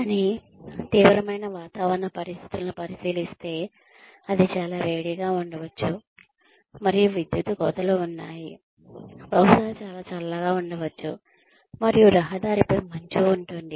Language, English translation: Telugu, But, considering the extreme weather conditions, maybe it is too hot, and there are power cuts, maybe it is too cold, and there is ice and snow on the road